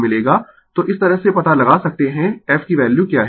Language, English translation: Hindi, So, this way you can find out what is the value of the f right